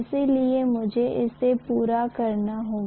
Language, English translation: Hindi, So I should complete it